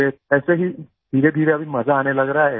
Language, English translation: Hindi, Then slowly, now it is starting to be fun